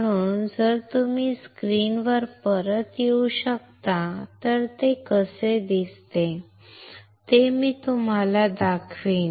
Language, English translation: Marathi, So, if you can come back to the screen,I will show it to you how it looks like